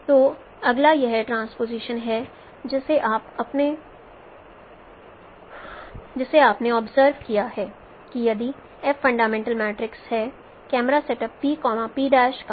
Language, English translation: Hindi, So next is this transposition what you have observed that if a is the fundamental matrix of camera setup P